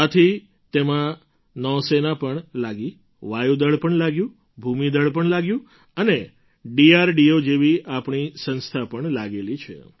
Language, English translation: Gujarati, That is why, in this task Navy , Air Force, Army and our institutions like DRDO are also involved